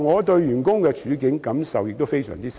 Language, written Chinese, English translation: Cantonese, 對於員工的處境，我的感受也非常深。, I have very deep feelings about the situations of employees